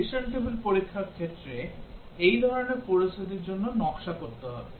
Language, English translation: Bengali, The decision table test cases have to be designed for such a situation